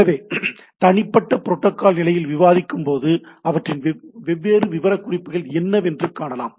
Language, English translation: Tamil, So, when we discuss at the individual protocol level, we’ll see that what is their different what we say specifications right